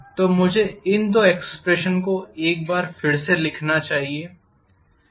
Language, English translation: Hindi, So let me write these two expressions once again